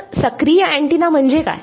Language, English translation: Marathi, So, what does that, what does active antenna mean